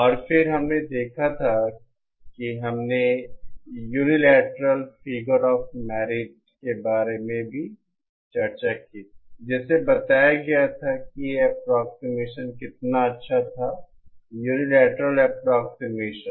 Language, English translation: Hindi, And then we had seen what we had also discussed about the unilateral figure of merit to show how good an approximation, the unilateral approximation was